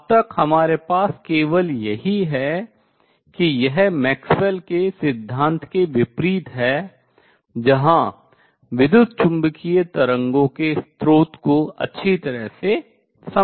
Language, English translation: Hindi, So far, the only thing that we have is this is in contrast with is the Maxwell’s theory where source of E m waves is well understood